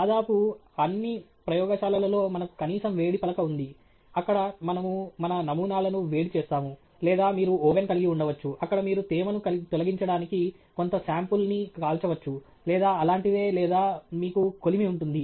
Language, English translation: Telugu, In almost all our labs, we have at least a hot plate, where we are heating our samples or maybe you have an oven where you, again, you know, bake some sample to remove moisture from it or something like that or you have furnaces